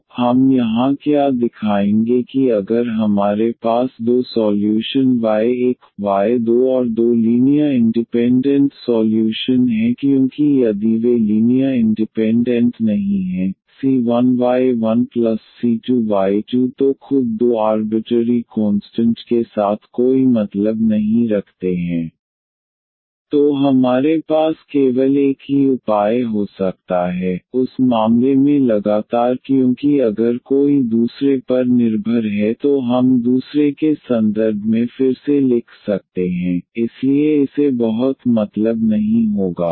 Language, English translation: Hindi, So, what we will show here that if we have two solutions y 1 and y 2 and two linearly independent solutions because if they are not linearly independent the c 1 y 1 plus c 2 y 2 itself does not make sense with having two arbitrary constants here we can have only one constant in that case because if one depends on the other we can write down again one in terms of other, so this will not make much sense